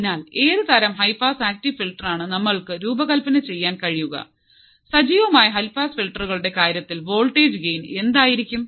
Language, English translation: Malayalam, So, what kind of high pass active filter we can design and what will be the voltage gain in case of active high pass filters